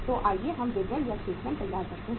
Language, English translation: Hindi, So let us prepare the statement